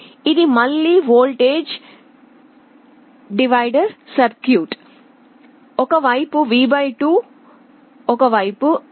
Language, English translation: Telugu, Again this is a voltage divider circuit, one side V / 2 one side ground